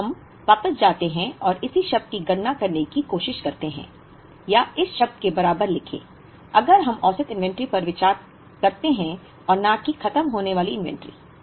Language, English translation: Hindi, So, let us go back and try to first compute this term or write the equivalent of this term, if we consider average inventory and not the ending inventory